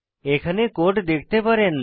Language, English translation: Bengali, You can have a look at the code here